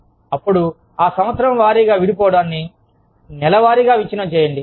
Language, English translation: Telugu, Then, break that year wise breakup, into month wise breakup